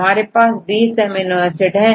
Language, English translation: Hindi, So, 20 amino acid residues